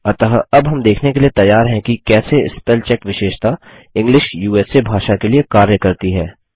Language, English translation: Hindi, So we are now ready to see how the spellcheck feature works for the language, English USA